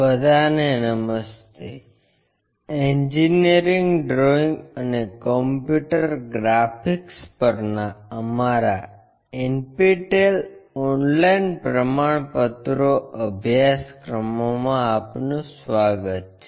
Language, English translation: Gujarati, Hello all welcome to our NPTEL Online Certifications Courses on Engineering Drawing and Computer Graphics